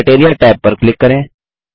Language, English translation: Hindi, Lets click the Criteria tab